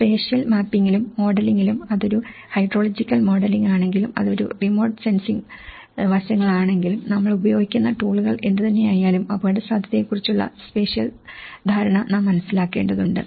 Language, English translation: Malayalam, So, one, how you can address that in the spatial mapping and the modelling, whether it is a hydrological modelling, whether it is a remote sensing aspects so, whatever the tools we are using but we need to understand the spatial understanding of the vulnerability